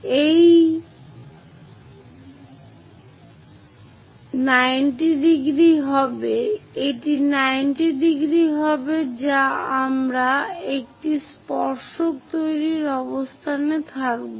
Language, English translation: Bengali, 90 degrees to that we will be in a position to construct a tangent